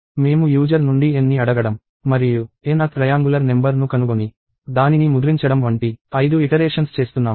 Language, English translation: Telugu, So, we are doing five iterations of asking n from the user and finding the n th triangular number and printing it